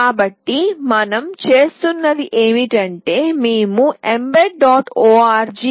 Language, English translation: Telugu, So, what we do is that we go to a website mbed